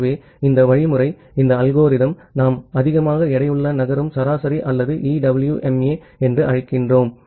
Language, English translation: Tamil, So, this algorithm this mechanism we call as exponentially weighted moving average or EWMA